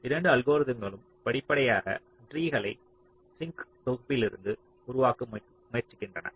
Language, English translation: Tamil, so how both the algorithms progressively try to construct the tree from the set of sinks